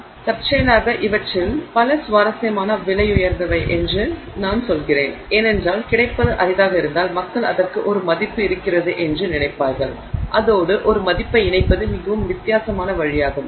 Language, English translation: Tamil, So, incidentally I mean many of these things are interestingly priced because I think if the availability is rare, people assume that it has value and that is a very strange way of associating value with it